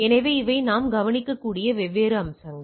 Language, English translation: Tamil, So, these are the different aspects which we need to be looked into